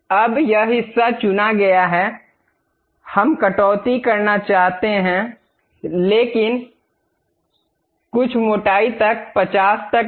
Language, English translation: Hindi, Now, this part is selected; we would like to have extrude cut, but some thickness not up to 50